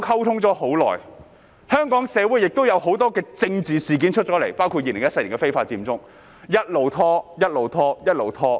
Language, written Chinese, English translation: Cantonese, 此時，香港社會亦出現有很多政治事件，包括2014年的非法佔中，接下來便一直拖延。, In the meantime there have been a lot of political incidents in the society of Hong Kong including the illegal Occupy Central movement and things have been delayed since then